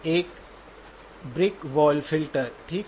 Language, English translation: Hindi, A brick wall filter, okay